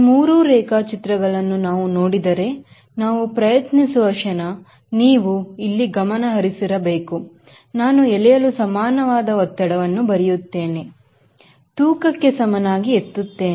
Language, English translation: Kannada, if we see this three diagrams: the moment diagram: you have to focus: here i write thrust equal to drag, lift equal to width